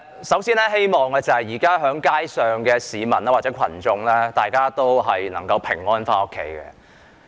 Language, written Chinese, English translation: Cantonese, 首先，我希望現時在街上的市民或群眾都能夠平安回家。, First of all I hope that members of the public who are now on the streets can go home safely